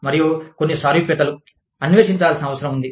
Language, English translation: Telugu, And, some commonalities, needs to be explored